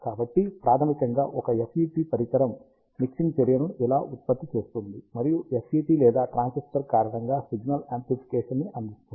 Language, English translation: Telugu, So, this is how fundamentally a FET device produces mixing action, and because of FET or a transistor can provide signal amplification